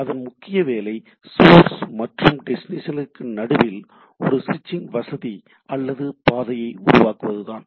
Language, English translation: Tamil, The purpose is to provide a switching facility or a path between the source and the destination